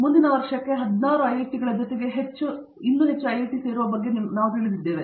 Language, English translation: Kannada, We now have you know about 16 IITs plus more and more getting added next year